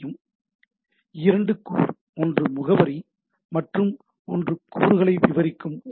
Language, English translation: Tamil, So, two component, one is the address and the text describing the component